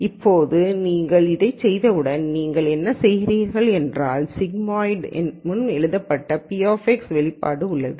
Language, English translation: Tamil, Now once you have this then what you do is, you have your expression for p of X which is as written before the sigmoid